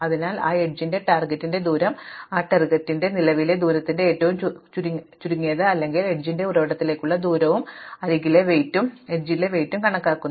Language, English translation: Malayalam, So, you take the distance of the target of that edge to be the minimum of the current distance of that target or the distance to the source of the edge plus the weight of the edge